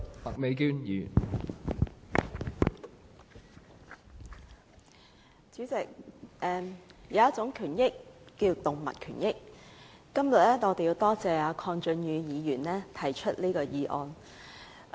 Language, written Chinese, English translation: Cantonese, 代理主席，有一種權益叫動物權益，今天我要多謝鄺俊宇議員提出這項議案。, Deputy President there is a kind of rights called animals rights . I would like to thank Mr KWONG Chung - yu for moving this motion today